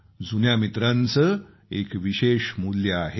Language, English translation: Marathi, Old friends are invaluable